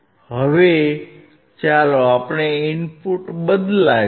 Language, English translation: Gujarati, Now, let us let us change the input